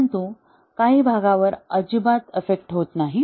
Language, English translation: Marathi, But, some part is not affected at all